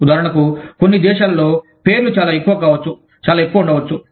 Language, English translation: Telugu, For example, in some countries, the names may be much, might be much longer